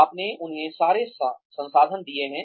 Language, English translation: Hindi, You have given them, all the resources